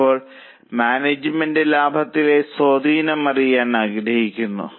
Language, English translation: Malayalam, And now management wants to know the impact on profit